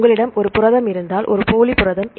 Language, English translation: Tamil, So, if you have a protein here a pseudo protein